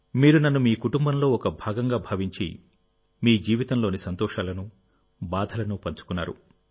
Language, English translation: Telugu, Considering me to be a part of your family, you have also shared your lives' joys and sorrows